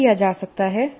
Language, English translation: Hindi, So what can be done